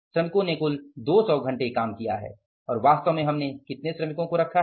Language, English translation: Hindi, Total number of hours are 200 hours that the labor has worked for and actual is how many workers we have involved too